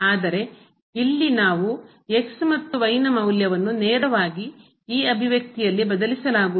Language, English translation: Kannada, But here so we cannot substitute thus directly the value of and in this expression